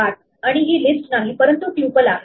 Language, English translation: Marathi, 8, and this is not a list, but a tuple